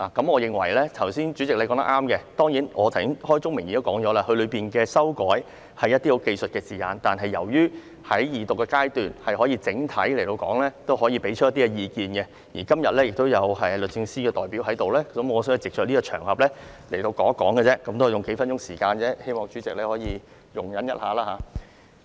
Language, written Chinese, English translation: Cantonese, 我認為主席剛才所說是對的，但我剛才已開宗明義表明，當中的修改屬於字眼上的技術性修訂，但由於現在是二讀階段，我可以提出來作整體討論及表達意見，而且今天亦有律政司的代表在席，我想藉這個場合表達意見而已，只是用數分鐘時間，希望主席可以稍作容忍。, President what you said just now is correct but I have made it clear in the beginning that some of the amendments are textual and technical and that we are now at the Second Reading debate I thus can bring this point up for general discussion and comment . Besides the representative of the Department of Justice is here today . I thus wish to take this opportunity to express my view